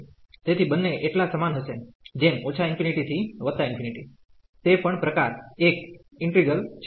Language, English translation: Gujarati, So, both are so like minus infinity to plus infinity that is also type 1 integral